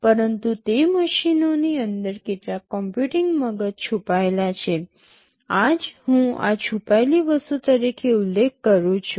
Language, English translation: Gujarati, But inside those machines there is some computing brain hidden, that is what I am referring to as this hidden thing